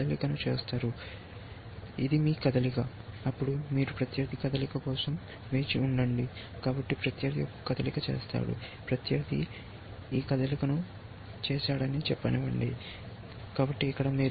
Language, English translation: Telugu, So, this is your move; then you wait for opponent move, so opponent makes a move, let say opponent makes this move, so here